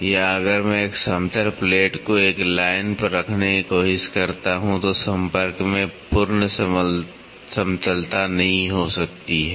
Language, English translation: Hindi, Or, if I try to put a flat plate on a line there might not be a perfect flatness in contact